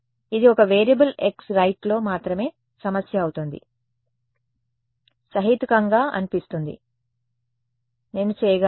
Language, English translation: Telugu, This becomes a problem only in one variable x right, sounds reasonable I could do that right